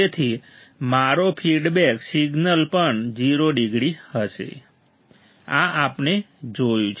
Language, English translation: Gujarati, So, that my feedback signal will also be 0 degree, correct, this we have seen